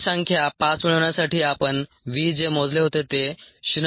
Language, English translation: Marathi, to get these numbers: five, the v that we calculated was point two, three